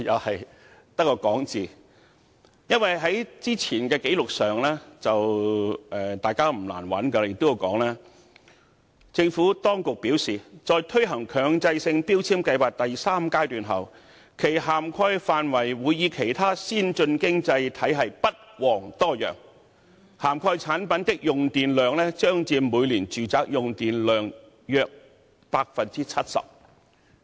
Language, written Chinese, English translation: Cantonese, 事實上，大家不難找到早前的紀錄，當中提到，"政府當局表示，在推行強制性標籤計劃第三階段後，其涵蓋範圍會與其他先進經濟體系不遑多讓，涵蓋產品的用電量將佔每年住宅用電量約 70%。, In fact it should not be difficult for Members to look up the past records of meetings which stated that the Administration advised that the coverage of the Mandatory Energy Efficiency Labelling Scheme after implementation of the third phase which would account for about 70 % of the annual electricity consumption in the residential sector compared favourably to those of other advance[d] economies